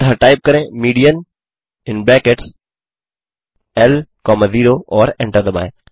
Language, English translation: Hindi, So type mean within brackets L comma 1 and hit Enter